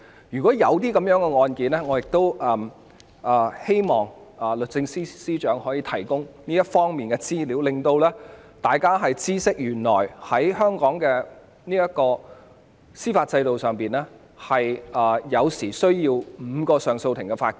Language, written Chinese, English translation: Cantonese, 如果過往確曾有這類案件，我希望律政司司長可以提供這方面的資料，讓大家知悉原來在香港的司法制度下，有時候需要5名上訴法庭法官。, If there are really such cases in the past I hope that the Secretary for Justice will provide the relevant information so that we will know that under the judicial system of Hong Kong there are instances where cases have to be dealt with by five JAs